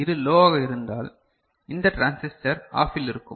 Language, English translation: Tamil, So, if Din is low, right, so if this is low then this transistor will be OFF